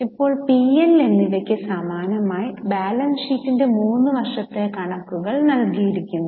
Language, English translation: Malayalam, Now, similar to P&L, three years figures of balance sheet are given